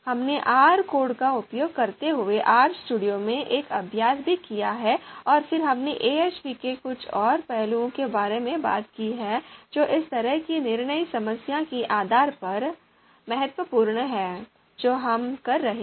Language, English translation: Hindi, We have also done an exercise in RStudio using R script using R code and then we have talked about few more aspects of AHP which are important you know depending on the kind of decision problem that we are doing